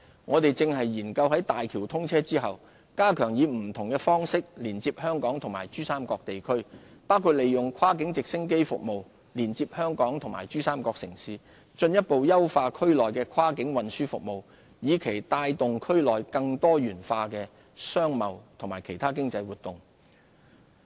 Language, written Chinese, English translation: Cantonese, 我們正研究在大橋通車後，加強以不同方式連接香港及珠三角地區，包括利用跨境直升機服務連接香港及珠三角城市，進一步優化區內的跨境運輸服務，以期帶動區內更多元化的商貿和其他經濟活動。, We are looking at various possibilities to better connect Hong Kong and places in the Pearl River Delta PRD Region upon the commissioning of HZMB . We will also consider the provision of cross - boundary helicopter service between Hong Kong and PRD cities to further enhance cross - boundary transportation services with a view to developing more diversified commercial and other economic activities in the region